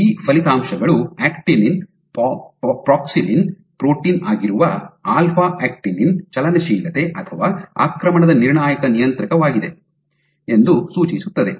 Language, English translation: Kannada, So, these results suggest that alpha actinin which is an actin proxillin protein is a critical regulator of motility or invasion